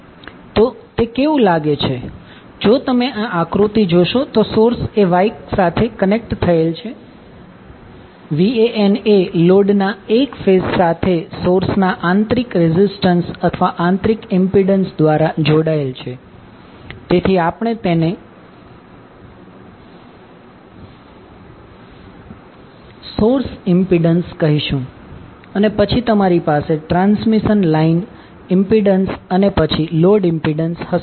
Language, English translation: Gujarati, So how it will look like if you see this particular figure the source is Y connected VAN is connected to the A phase of the load through internal resistance or internal impedance of the source, so we will call it as source impedance and then you will have transmission line impedance and then the load impedance